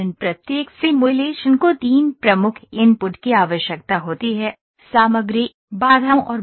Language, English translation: Hindi, Every simulation needs three key inputs; materials, constraints, and loads